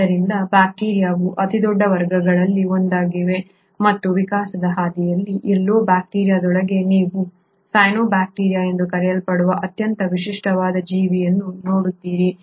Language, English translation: Kannada, So bacteria is one of the largest classes and even within the bacteria somewhere across the course of evolution you come across a very unique organism which is called as the cyanobacteria